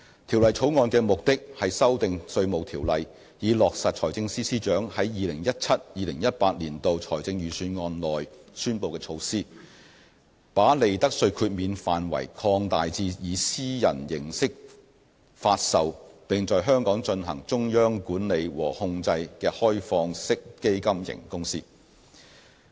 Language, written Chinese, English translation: Cantonese, 《條例草案》的目的是修訂《稅務條例》，以落實財政司司長在 2017-2018 年度財政預算案內宣布的措施，把利得稅豁免範圍擴大至以私人形式發售並在香港進行中央管理和控制的開放式基金型公司。, The Bill seeks to amend the Inland Revenue Ordinance to implement the 2017 - 2018 Budget initiative of the Financial Secretary of extending profits tax exemption to privately offered open - ended fund companies OFCs with their central management and control CMC exercised in Hong Kong